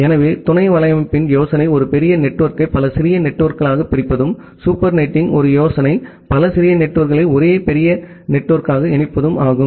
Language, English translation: Tamil, So, the idea of sub netting is to divide a large network into multiple small networks and a idea of super netting is to combine multiple small networks into a single large network